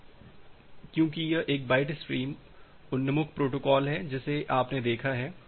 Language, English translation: Hindi, So, because it is a byte stream oriented protocol that you have seen